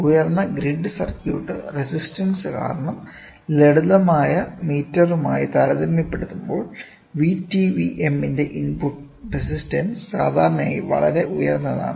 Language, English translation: Malayalam, The input resistance of VTVM is usually very high when compared to that of simple meter due to high grid circuit resistance